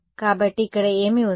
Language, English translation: Telugu, So, what is this over here